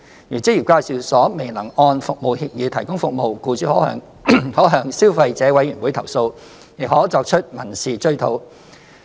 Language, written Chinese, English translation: Cantonese, 如職業介紹所未能按服務協議提供服務，僱主可向消費者委員會投訴，亦可作出民事追討。, If an EA is unable to deliver services as per SA the employer may file a complaint with the Consumer Council and may also institute a civil claim against it